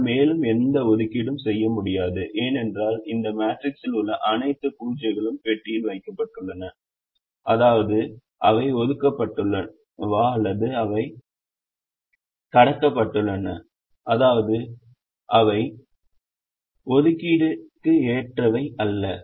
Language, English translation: Tamil, we can't make any more assignment because all the zeros in this matrix have either been box, which means have they, they have been assigned, or they are